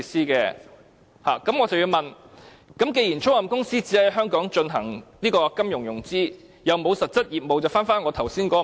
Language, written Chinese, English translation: Cantonese, 既然租賃公司只在香港進行金融融資，又沒有實質業務，那麼，就回到我剛才的問題。, Given that leasing companies are only doing financing but not real business in Hong Kong my previous question comes up again